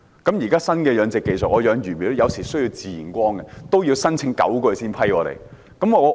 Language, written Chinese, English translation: Cantonese, 在現在新的養殖技術下，我養魚苗有時候需要自然光，但也要申請了9個月才獲批准。, Sometimes I need natural sunlight when culturing fish fry with new fish culture technology but it took nine months for my application to be approved